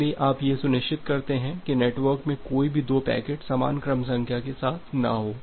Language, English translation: Hindi, So, you ensure that the no two packets are there in the network with the same sequence number